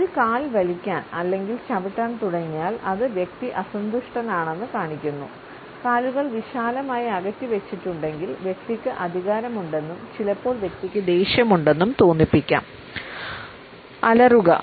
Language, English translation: Malayalam, If one foot starts twitching or kicking; it shows the person is unhappy, if the feet are set wide apart the person is feeling strong and sometimes also angry; roar